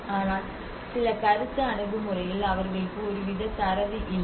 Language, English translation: Tamil, But in certain perception approach they have lacking some kind of data